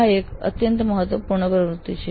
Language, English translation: Gujarati, This is an extremely important activity